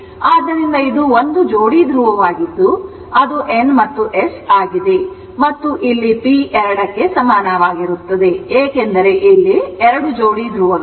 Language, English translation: Kannada, So, it is 1 pair of pole that is N and S and here this p is equal to 2 because 2 pairs of poles right